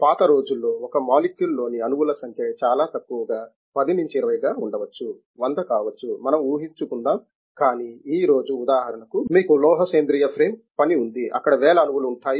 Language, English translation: Telugu, In the olden days the number of atoms in a molecule was very small may be 10 20, may be 100 let us assume, but today for example, you have metal organic frame work there will be thousands of atoms